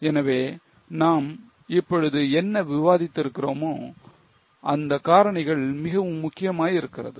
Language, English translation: Tamil, So, what we are discussing now, those factors become very important